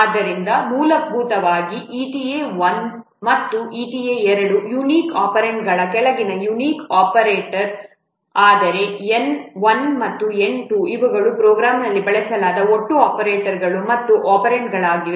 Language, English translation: Kannada, So, basically, itta 1 and 2 are unique operators and of unique operants, whereas n1 and n2 these are total number of operators and operants used in the program